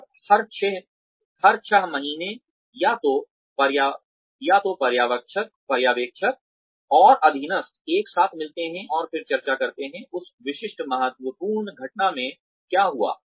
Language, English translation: Hindi, And, every six months or so, the supervisor and subordinate, get together and then discuss, what happened in that specific critical incident